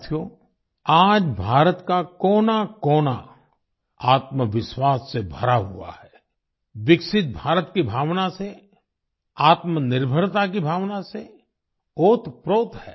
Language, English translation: Hindi, Friends, today every corner of India is brimming with selfconfidence, imbued with the spirit of a developed India; the spirit of selfreliance